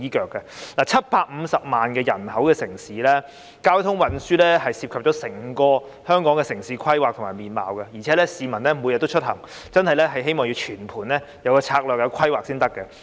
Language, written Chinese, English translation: Cantonese, 香港是一個有750萬人口的城市，交通運輸涉及整個香港的城市規劃和面貌，而且市民每天也會出行，希望政府會有全盤的策略和規劃。, Hong Kong is a city with a population of 7.5 million people . Transport involves town planning and the landscape of the whole territory . Moreover people commute every day